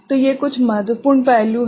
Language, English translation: Hindi, So, these are certain important aspect